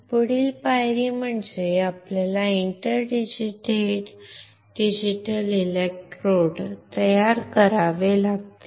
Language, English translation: Marathi, Next step is we have to, we have to form the inter digitated electrodes right